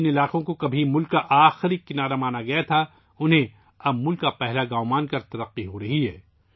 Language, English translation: Urdu, The areas which were once considered as the last point of the land are now being developed considering them as the first villages of the country